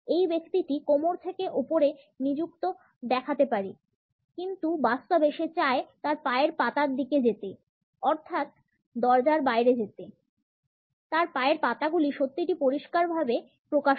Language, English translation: Bengali, This person may look engaged from the waist up, but in reality he is wishing he were heading in the direction of his feet; out the door, his feet are a dead giveaway